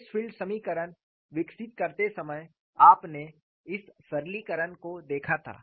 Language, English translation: Hindi, While developing the stress field equation, you have to come across the simplification